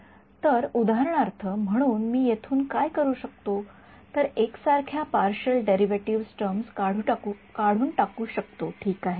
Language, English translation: Marathi, So, for example so, what I can do from here is extract out the common partial derivative terms ok